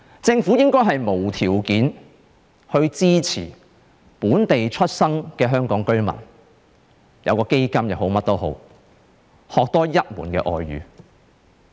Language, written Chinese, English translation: Cantonese, 政府應該無條件地支持本地出生的香港居民，例如增設一個基金，讓他們學習多一種外語。, The Government should unconditionally support local - born Hong Kong residents . For example it can establish a fund to help them learn one more foreign language